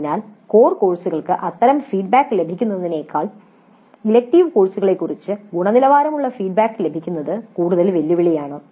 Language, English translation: Malayalam, So getting quality feedback regarding elective courses is more challenging than getting such feedback for core courses